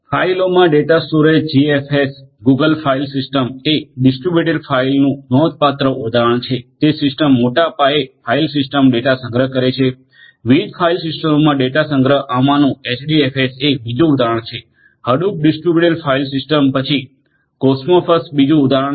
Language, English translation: Gujarati, Data storage in the files GFS, Google file system is a notable example of distributed file system storing large scale file system data store, data store in different file systems HDFS in this is an another example, Hadoop distributed file system, then Kosmosfs is another example these are different examples of the file systems used for data storage